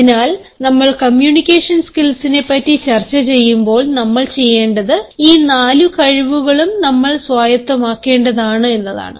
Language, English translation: Malayalam, so when we talk about communication skills, what we need need to do is we need to hone all these four skills on which you are being judged